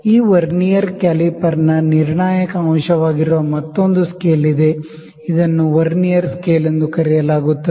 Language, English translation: Kannada, There is another scale which is the critical component of this Vernier caliper that is known as Vernier scale